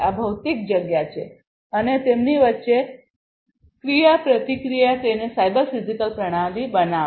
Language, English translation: Gujarati, This is the physical space, right and the interaction between them will make it the cyber physical system